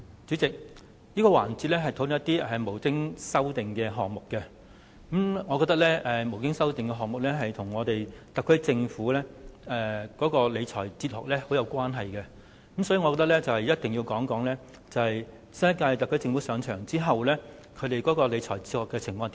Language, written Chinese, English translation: Cantonese, 主席，這個環節是討論沒有修正案的總目，我認為沒有修正案的總目與特區政府的理財哲學息息相關，所以必須談論新一屆特區政府上場後的理財哲學。, Chairman this session is a discussion on the heads with no amendment . I think heads with no amendment are closely related to the fiscal philosophy of the Special Administrative Region SAR Government so it is necessary to discuss the fiscal philosophy adopted by the current - term Government since it assumed office